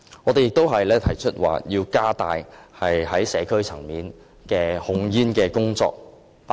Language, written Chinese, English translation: Cantonese, 我們亦提出要加強社區層面的控煙工作。, Furthermore we propose that tobacco control be enhanced at the community level